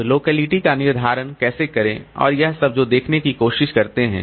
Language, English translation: Hindi, Now, how to determine the locality and all that we'll try to see